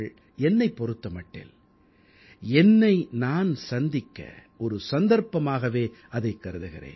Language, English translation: Tamil, For me, it was an opportunity to meet myself